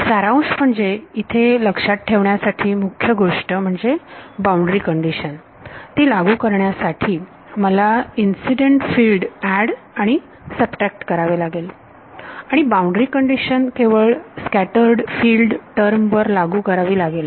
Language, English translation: Marathi, To summarize the key thing to keep in mind here is that, in order to apply the boundary condition I had to add and subtract the incident field and apply the boundary condition only to the scattered field term